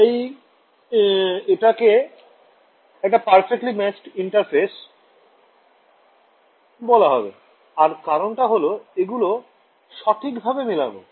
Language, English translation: Bengali, So, what why is this thing called a perfectly matched interface and the reason is very very literal perfectly matched